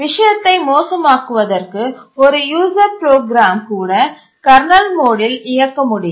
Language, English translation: Tamil, To make the matter worse, even a user program can execute in kernel mode